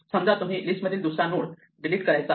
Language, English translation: Marathi, We pretend that we are deleting the second node